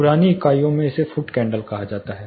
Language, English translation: Hindi, In older units it uses to be called as foot candle